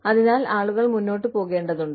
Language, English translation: Malayalam, So, we need to have people, move on